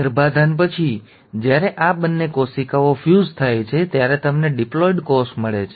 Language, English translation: Gujarati, After fertilization, when these two cells fuse, you end up getting a diploid cell